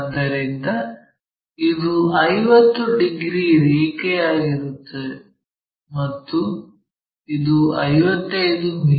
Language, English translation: Kannada, So, this is 50 degrees line and it measures 55 mm long